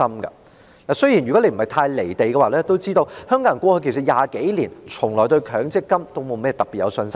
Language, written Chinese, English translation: Cantonese, 如果主席不是太"離地"便應該知道，香港人過去20多年從來都沒對強積金有信心。, If the President has not divorced too far from reality he should know that Hong Kong people have never had confidence in MPF over the past 20 years or so